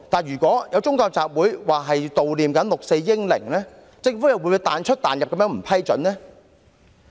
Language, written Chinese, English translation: Cantonese, 如有宗教集會表示要悼念六四英靈，不知政府又會否"彈出彈入"，不予批准呢？, If a religious gathering is held to mourn the heroes who have sacrificed their lives in the 4 June incident I wonder if the Government will move the goalposts again and refuse to grant a permission